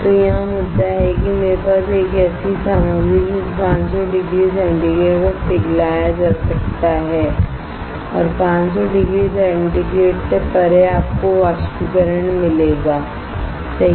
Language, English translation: Hindi, So, the point is here I have a material which can be melted at 500 degree centigrade and beyond 500 degree centigrade you will get evaporation right